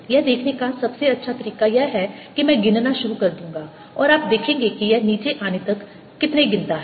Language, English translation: Hindi, best way to see that is: i'll start counting and you will see how many counts it takes